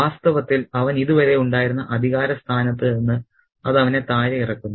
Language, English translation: Malayalam, In fact, it dethrones him from the position of authority that he was in hitherto